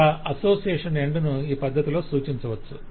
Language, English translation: Telugu, so association end could be specified in this manner